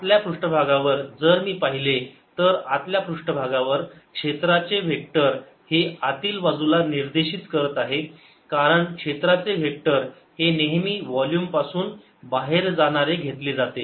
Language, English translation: Marathi, in the inner surface, if i look at the inner surface, the area vector is pointing invert because area vector is always taken to be going out of the volume